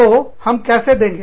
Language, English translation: Hindi, So, how do we